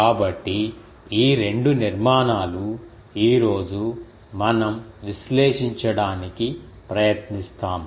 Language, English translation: Telugu, So, these 2 structure today we will try to analyze